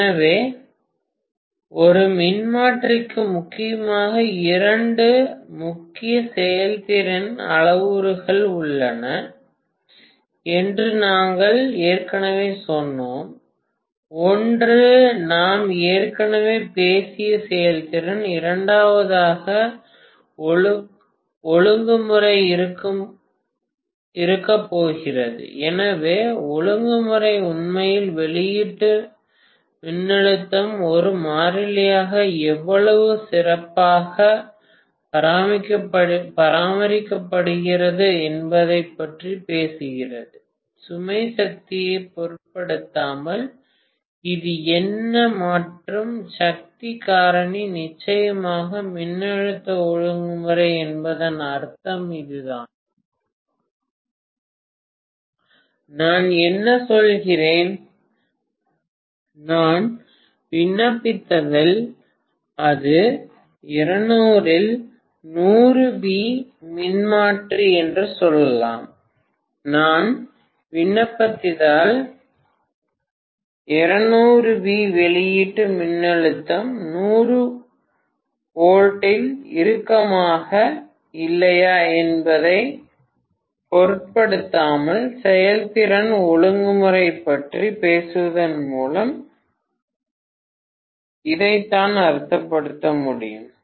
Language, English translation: Tamil, So we told already that there are mainly two major performance parameters for a transformer, one is efficiency which we talked about already, the second one is going to be regulation, so regulation actually talks about how well the output voltage is maintained as a constant, irrespective of the load power, so this is what and power factor, of course, this is what we mean by voltage regulation, what we mean is, if I apply let us say it is are 200 by 100 V transformer, if I apply 200 V irrespective of the load whether the output voltage will be at 100 V or not, this is what we mean by talking about efficiency, regulation